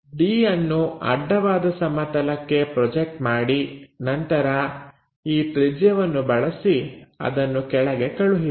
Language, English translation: Kannada, Project D on to horizontal plane, then use this radius transfer that all the way down